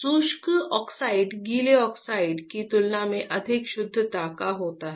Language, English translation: Hindi, Dry oxide is of higher purity compared to wet oxide